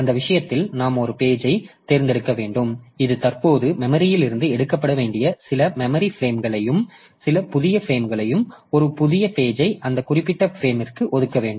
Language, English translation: Tamil, So, in that case we have to select one of the pages which is currently occupying some memory frame to be taken out of the memory and some new frame, new page should be allocated that particular frame